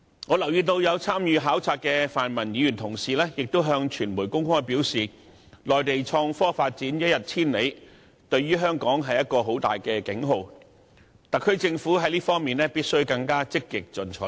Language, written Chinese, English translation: Cantonese, 我留意到有參與考察的泛民議員向傳媒公開表示，內地創科發展一日千里，對香港響起了重大警號，特區政府在這方面必須更為積極進取。, I noted a pan - democratic Member openly indicate to the media that the rapid innovation and technology advancement on the Mainland had sounded an alarm to Hong Kong . Therefore the SAR Government must be more proactive on this front